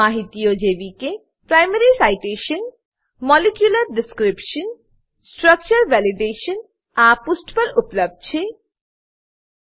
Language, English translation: Gujarati, Information like * Primary Citation * Molecular Description and * Structure Validationare available on this page